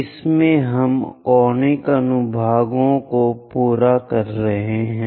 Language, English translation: Hindi, In this, we are completing the Conic Sections part